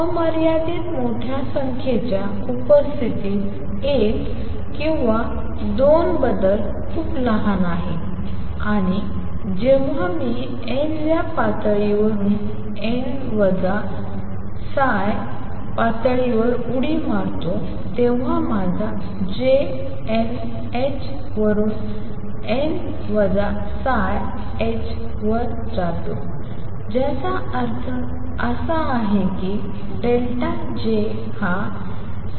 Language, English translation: Marathi, Change one or two in presence of an infinitely large number is very small, and when I making a jump from n th level to n minus tau level, my J goes from n h to n minus tau h which implies that delta J is tau h